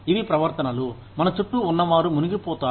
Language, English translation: Telugu, These are behaviors, that people around us, indulge in